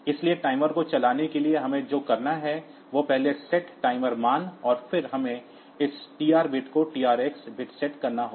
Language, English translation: Hindi, So, to run a timer what we have to do is first set, the timer value and then we have to set this TR bit the TR x bit